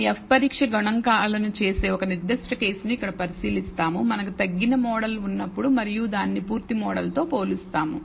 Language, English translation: Telugu, We will consider a specific case here where we do the F test statistic for the case when we have a reduced model and compare it with the full model